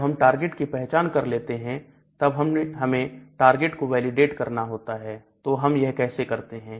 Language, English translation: Hindi, Once you have identified the target we need to do target validation